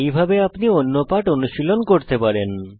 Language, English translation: Bengali, Similarly you can practice different lessons